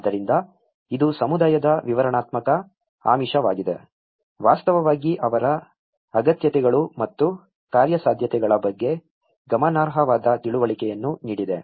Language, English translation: Kannada, So, this has been the descriptive lure of a community have actually given a significant understanding of their needs and wants and the feasibilities